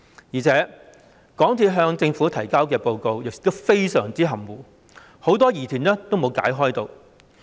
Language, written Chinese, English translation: Cantonese, 而且，港鐵公司向政府提交的報告亦非常含糊，很多疑團並未被解開。, Did it overstep the mark in doing so? . Moreover MTRCLs report to the Government was so vague that it left many doubts unresolved